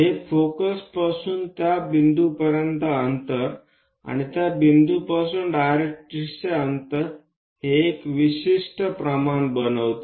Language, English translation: Marathi, What is the distance from focus to that point, and what is the distance from that point to directrix